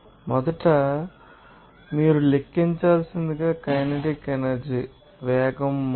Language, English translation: Telugu, First of all you have to calculate it is kinetic energy based on then you know, velocity change